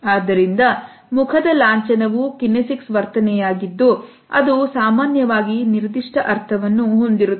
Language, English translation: Kannada, So, facial emblem is a kinesic behavior that usually has a very specific meaning